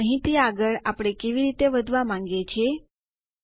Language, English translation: Gujarati, And how do we want to proceed from here